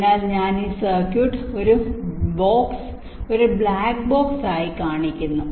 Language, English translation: Malayalam, so i am showing this circuit as a box, black box